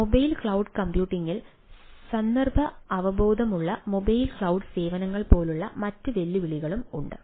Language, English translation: Malayalam, there are other type other challenges, like context aware mobile cloud services